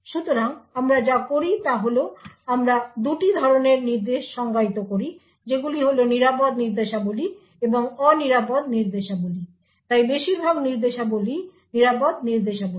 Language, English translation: Bengali, So, what we do is we define two types of instructions they are the safe instructions and the unsafe instructions, so most of the instructions are safe instructions